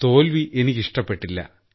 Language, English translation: Malayalam, I didn't like the defeat